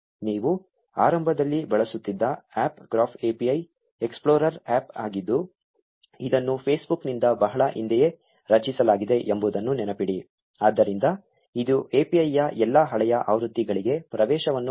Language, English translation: Kannada, Remember that the APP you were using in the beginning was the Graph API explorer APP which was created long ago by Facebook itself, so it has access to all the older versions of the API